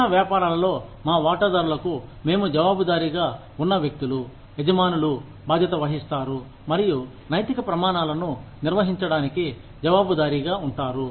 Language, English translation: Telugu, The people, who we are accountable to our stakeholders in small businesses, the owners are responsible for, and you know, accountable for, maintaining ethical standards